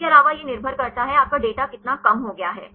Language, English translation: Hindi, Also it depends upon; how much your data is reduced